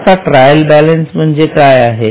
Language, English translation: Marathi, Now, what is a trial balance